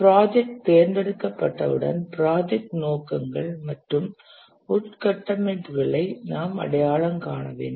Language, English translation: Tamil, Once the project has been selected, we need to identify the project objectives and the infrastructures